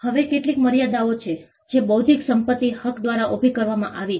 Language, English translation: Gujarati, Now, there are certain limits that are posed by intellectual property rights